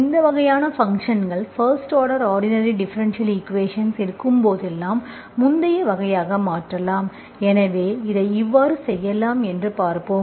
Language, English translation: Tamil, This thing, these kinds of functions, whenever you have in your ordinary differential equation of first order, you can convert this into earlier type, okay